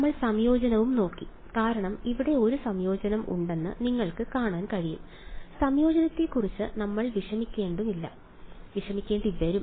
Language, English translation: Malayalam, And we also looked at integration because you can see there is an integration here we will have to worry about integration ok